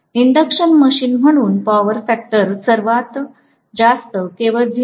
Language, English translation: Marathi, Because induction machine, the power factor can be only 0